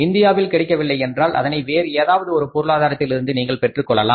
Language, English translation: Tamil, If it is not available in India you can borrow it, you can bring it from other economies